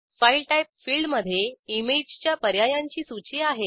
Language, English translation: Marathi, File Type field has a list of image options